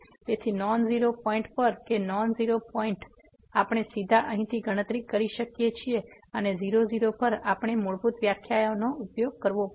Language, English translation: Gujarati, So, at non zero point that non zero point, we can directly compute from here and at we have to use the fundamental definitions